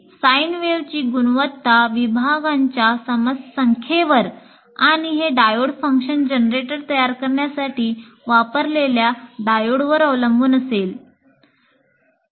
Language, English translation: Marathi, And if the quality of the sine wave that you produce will depend on the number of segments and the diodes that you use in creating this diode function generator